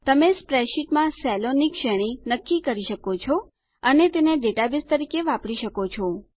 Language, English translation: Gujarati, You can define a range of cells in a spreadsheet and use it as a database